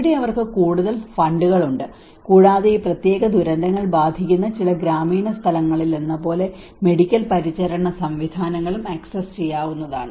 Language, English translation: Malayalam, Here they have more funds and also the medical care systems are accessible like in some of the rural places where these particular disasters to gets affected